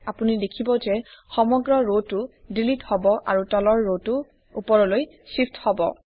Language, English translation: Assamese, You see that the entire row gets deleted and the row below it shifts up